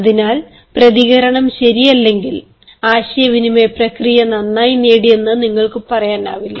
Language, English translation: Malayalam, so unless the response is proper, you cannot say that the communication process has been achieved well